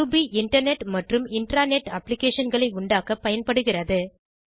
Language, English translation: Tamil, Ruby is used for developing Internet and Intra net applications